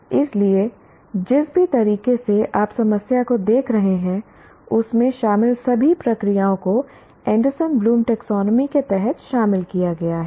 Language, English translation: Hindi, So, in whatever way you are looking at problem solving, there are all the processes involved are subsumed under Anderson Bloombe taxonomy